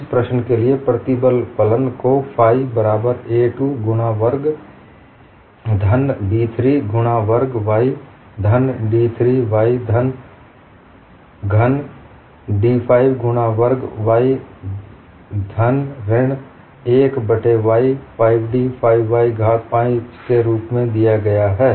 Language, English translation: Hindi, The stress function for this problem is given as phi equal to a 2 x square plus b 3 x squared y plus d 3 y cube plus d 5 x square y cube minus 1 by 5 d 5 y power 5